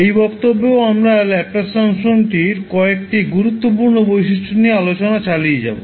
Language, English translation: Bengali, So in this class also we will continue our journey on discussing the few important properties of the Laplace transform